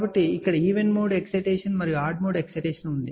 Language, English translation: Telugu, So, here is a even mode excitation odd mode excitation